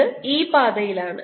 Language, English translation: Malayalam, this is on this path